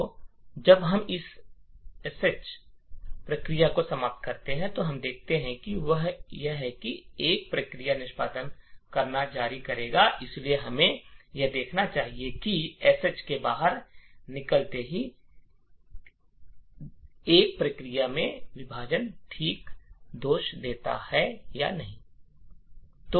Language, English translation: Hindi, So when we terminate this sh process what we see is that the one process will continue to execute, so let us see this happening so we exit the sh but what we will see is that the one process will have a segmentation fault okay